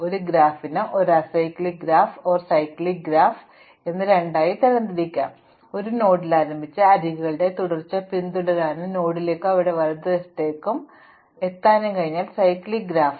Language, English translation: Malayalam, So, a acyclic graph is a graph such as the left, in which you cannot start at any node and follow a sequence of edges and come back to the node